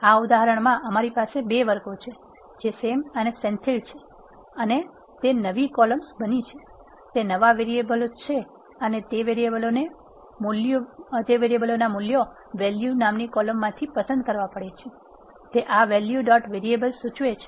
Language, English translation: Gujarati, We have 2 categories in this example, which are Sam and Senthil and they become the new columns, that are new variables and the values for those variables has to be picked from the column value, that is what this value dot variable suggests